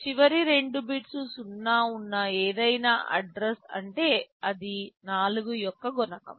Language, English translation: Telugu, Any address with the last two bits 0 means it is a multiple of 4